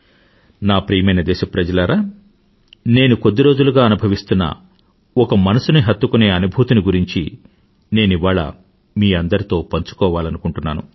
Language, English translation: Telugu, My dear countrymen, today I wish to narrate a heart rending experience with you which I've beenwanting to do past few days